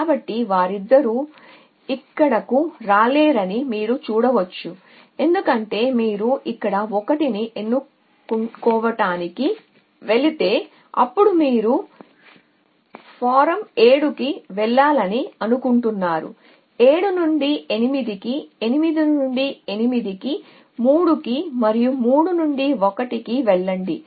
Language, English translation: Telugu, So, you can see that neither of them can come here, because if you go to choose 1 here then you saying form 1 go to 7, from 7 go to 8 from 8 go to 3 and from 3 go to 1